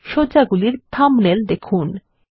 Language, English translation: Bengali, Look at the layout thumbnails